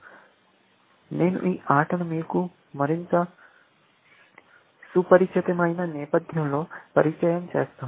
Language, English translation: Telugu, So, let me introduce this game to you in more familiar setting